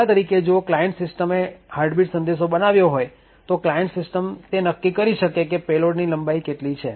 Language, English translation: Gujarati, For example, if the client system has created the heartbeat message then the client system can decide on what is the length of the payload